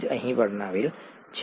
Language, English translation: Gujarati, That is what is described here